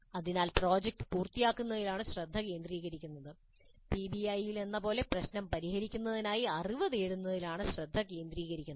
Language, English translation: Malayalam, So the focus is on completion of a project whereas in PBI the focus is on acquiring knowledge to solve the problem